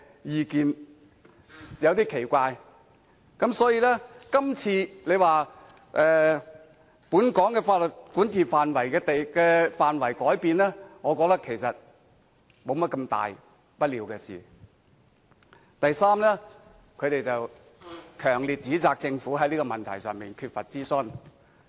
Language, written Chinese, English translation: Cantonese, 我感到有點奇怪。所以，今次有人說本港法律的管轄範圍改變，我覺得其實沒甚麼大不了；及第三，他們強烈指責政府在這個問題上缺乏諮詢。, Although they claim that the arrangement will change the territory under our jurisdiction I actually believe this is no big deal; third they fiercely accuse the Government of not conducting any public consultation in this regard